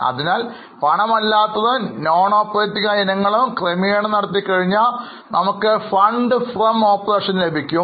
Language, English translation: Malayalam, So, after making the adjustments for non cash and non operating items, we get a figure which is known as funds from operations